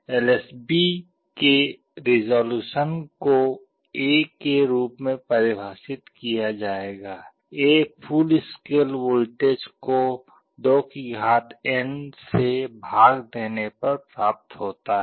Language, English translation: Hindi, The resolution of the LSB will be defined as A, A is the full scale voltage divided by 2n